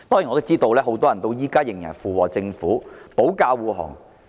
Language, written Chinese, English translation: Cantonese, 我知道很多人至今仍然附和政府和為政府保駕護航。, I know that many people still echo with and defend the Government nowadays